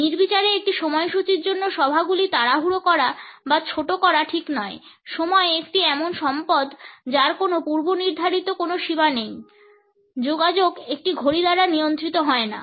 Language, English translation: Bengali, Meetings will not be rushed or cut short for the sake of an arbitrary schedule, time is an open ended resource communication is not regulated by a clock